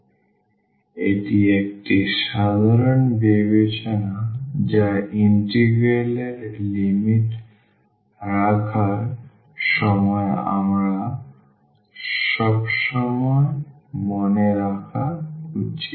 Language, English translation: Bengali, So, this is a general consideration which we should always keep in mind while putting the limits of the of the integral